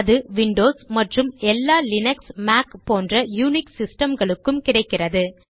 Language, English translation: Tamil, It is available on windows and all unix systems, including Mac and linux